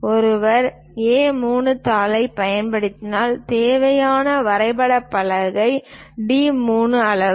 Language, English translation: Tamil, If one is using A3 sheet, then the drawing board required is D3 size